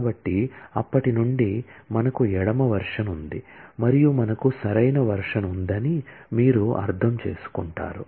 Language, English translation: Telugu, So, you will understand that since, we have a left version and we have a right version